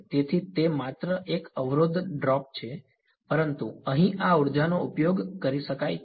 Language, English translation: Gujarati, So, it's only a resistor drop, but here this energy can be exploited